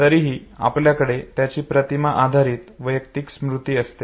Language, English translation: Marathi, Still we have the image based personal memory of it